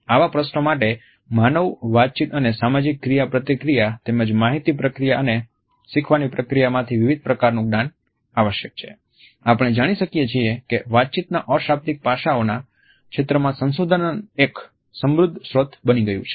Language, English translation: Gujarati, Since such questions require a diverse knowledge from human communication and social interaction, as well as information processing and learning, we find that research in the field of nonverbal aspects of communication has become a rich source